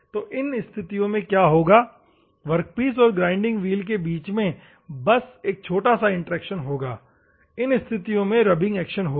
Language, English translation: Hindi, So, in those circumstances, what will happen, there is a mere interaction between the workpiece and the grinding wheel, in that circumstances rubbing action will take place